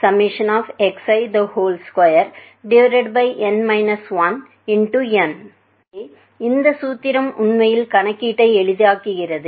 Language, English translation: Tamil, So, this formula actually simplifies the calculation